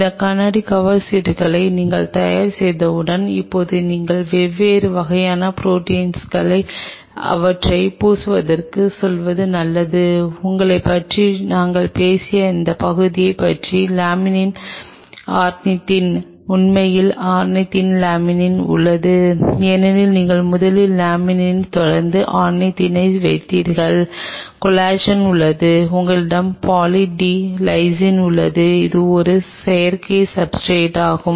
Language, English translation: Tamil, Once you have these glass cover slips ready, now you are good to go to coat them with different kind of proteins what part of which we have talked about you have Laminin Ornithine actually rather ornithine laminin because you put the ornithine first followed by Laminin, you have Collagen, you have Poly D Lysine which is a Synthetic substrate